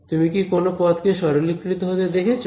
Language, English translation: Bengali, Do any of the terms do you see them simplifying